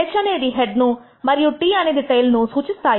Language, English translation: Telugu, H refers to the head and T refers to the tail